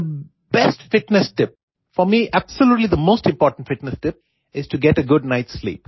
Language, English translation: Hindi, The best fitness tip for me absolutely the most important fitness tip is to get a good night sleep